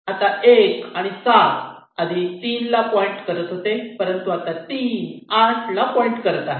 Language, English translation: Marathi, so this one seven was pointing to three, now it will be pointing to three